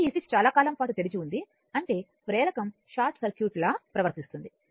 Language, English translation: Telugu, So, this switch was open for a long time means, that inductor is behaving like a short circuit right